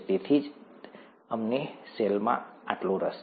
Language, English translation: Gujarati, That's why we are so interested in the cell